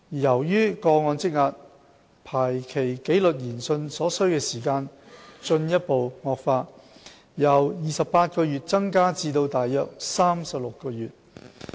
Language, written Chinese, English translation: Cantonese, 由於個案積壓，排期紀律研訊所需時間進一步惡化，由28個月增加至約36個月。, Due to the backlog of cases the time required for scheduling an inquiry has further aggravated having increased from 28 months to about 36 months